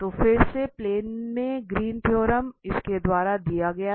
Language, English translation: Hindi, So, the Greens theorem again in the plane was given by this